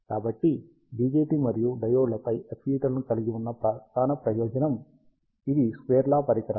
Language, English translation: Telugu, So, the major advantage FETs have over BJTs and diodes is that these are square law devices